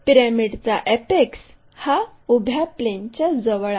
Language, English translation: Marathi, So, the apex always be near to vertical plane